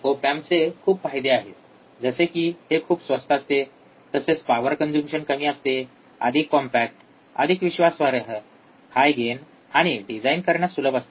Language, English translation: Marathi, The advantages of op amps are it is low cost, right less power consumption, more compact, more reliable, high gain and easy design